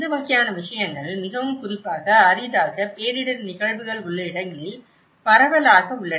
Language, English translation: Tamil, And these kinds of things are very especially, prevalent in the localities where there are infrequent disaster events